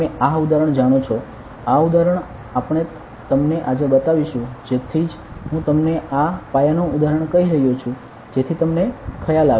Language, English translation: Gujarati, You know this example; this example we will be showing you today that is why I am just telling you this basic example so that you will have the idea